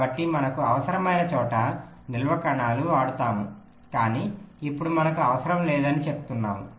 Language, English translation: Telugu, so storage cells wherever we require, but now we are saying no storage cells